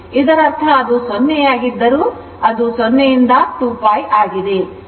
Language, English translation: Kannada, So, it is 0 it is pi it is 2 pi